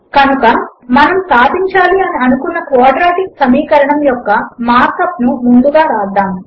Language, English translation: Telugu, So first let us write the mark up for the quadratic equation that we want to solve